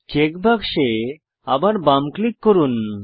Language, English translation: Bengali, Left click the check box again